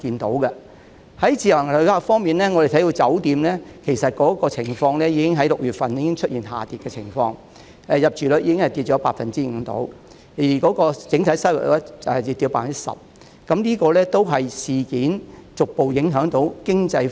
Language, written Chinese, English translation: Cantonese, 在自由行旅客方面，我們看到6月份酒店旅客已出現下跌的情況，入住率下跌約 5%， 而整體收入亦下跌 10%， 這可能顯示事件正逐步影響經濟。, As for visitors under the Individual Visit Scheme we notice that the number of visitors staying in hotels in June has started to decrease with a drop of 5 % in occupancy rate and a decrease of 10 % in overall income . This may indicate that the economy has been affected by the incident